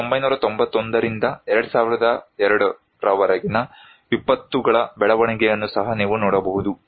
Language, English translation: Kannada, Here is also you can see from 1991 to 2002, the growth of disasters